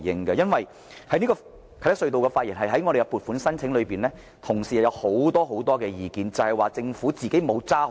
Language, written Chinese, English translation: Cantonese, 對於啟德隧道這個項目的撥款申請，同事有很多意見，認為政府沒有堅守宗旨。, Honourable colleagues have expressed many views about the funding proposal of the Kai Tak Tunnel project arguing that the Government has not firmly adhered to its objectives